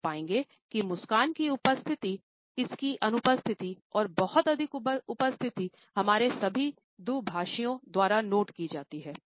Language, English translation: Hindi, So, you would find that the smile, its presence, its absence, and too much presence are all noted by all our interactants